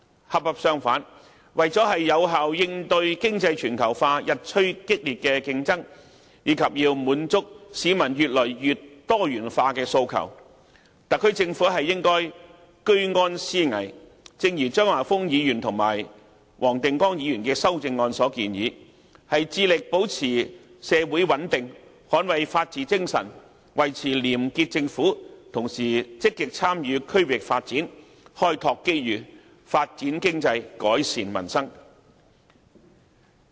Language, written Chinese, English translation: Cantonese, 恰恰相反，為了有效應對經濟全球化日趨激烈的競爭，以及滿足市民越來越多元化的訴求，特區政府應該居安思危，正如張華峰議員及黃定光議員的修正案所建議，致力保持社會穩定，捍衞法治精神，維持廉潔政府，同時積極參與區域發展，開拓機遇，發展經濟，改善民生。, On the contrary in order to effectively face the increasingly acute competition resulted from economic globalization and meet the increasingly diversified public demands the SAR Government must always stay alert and be well prepared . As suggested by Mr Christopher CHEUNG and Mr WONG Ting - kwong in their amendments the Government must endeavour to maintain social stability safeguard the spirit of the rule of law maintain a clean government and at the same time actively participate in the development of the region open up opportunities develop the economy as well as improve peoples livelihood